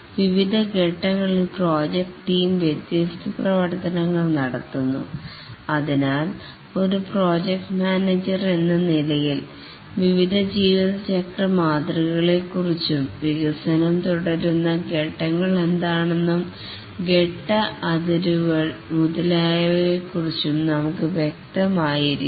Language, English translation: Malayalam, At different stages, the project team carries out different activities and therefore as a project manager we must be clear about the various lifecycle models, what are the stages through which the development proceeds, the stage boundaries and so on